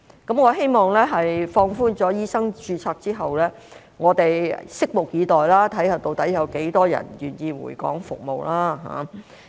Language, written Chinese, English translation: Cantonese, 在放寬醫生註冊之後，我們拭目以待，看看究竟有多少人願意回港服務。, After the relaxation of medical registration we will wait and see how many doctors will be willing to return and serve in Hong Kong